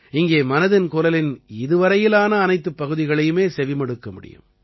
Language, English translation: Tamil, Here, all the episodes of 'Mann Ki Baat' done till now can be heard